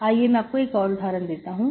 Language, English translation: Hindi, I will give an example